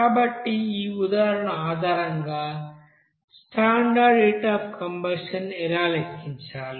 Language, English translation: Telugu, So based on this example, how to calculate the you know standard you know heat of combustion